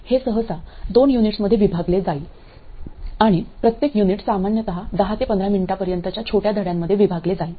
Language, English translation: Marathi, It will be split up into 2 units usually and each unit will be split up into smaller lessons usually lasting 10 to 15 minutes